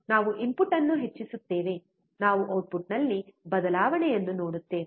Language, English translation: Kannada, We increase the input; we see change in output